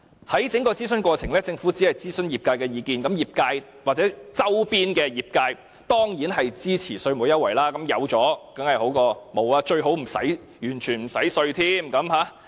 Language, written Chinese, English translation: Cantonese, 在整個諮詢過程裏，政府只諮詢業界的意見，業界或周邊的業界當然支持稅務優惠，有當然較好，最好是完全不用繳稅。, Throughout the consultation the Government has asked only the opinions of the industries concerned . The industry and its related industries certainly support the tax concession proposal . To them it is nice to have tax concession and it will be perfect if the tax is fully exempted